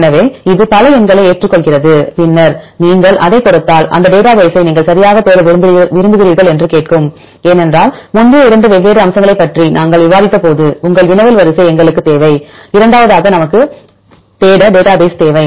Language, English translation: Tamil, So, it accepts several numbers, then if you give it then it will ask for the database which database you want to search right because as we discussed earlier 2 different aspects one we need your query sequence, and the second we need database to search right